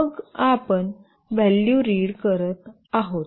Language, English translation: Marathi, Then we are reading the value